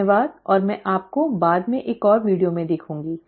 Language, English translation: Hindi, Thank you and I will see you later in another video